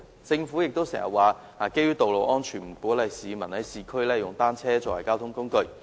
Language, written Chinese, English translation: Cantonese, 政府也經常表示，基於道路安全，不鼓勵市民在市區使用單車作為交通工具。, The Government often says that it does not encourage the use of bicycles as a mode of transport by the public on the ground of road safety